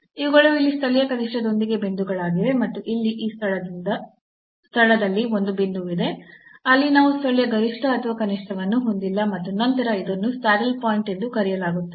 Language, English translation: Kannada, Here also local maximum these are the points here with local minimum and there is a point at this place here where we do not have a local maximum or minimum and then this will be called a saddle point